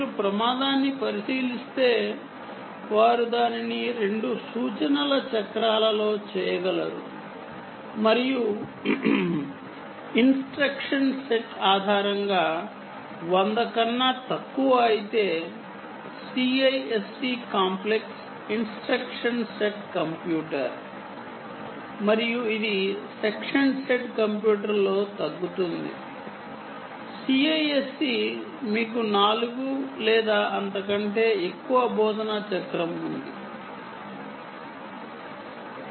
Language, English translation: Telugu, well, if you look at risk, they can do it in one, two instruction cycles and the instruction set itself is typically less than hundred, whereas cisc, complex instruction set, computer, and this is reduced in section said computer, cisc you have ah, four or more instruction cycle